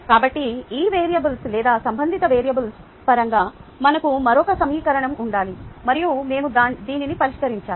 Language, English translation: Telugu, therefore we need to do and a, we need to have another equation in terms of these variables or related variables, and we need to solve this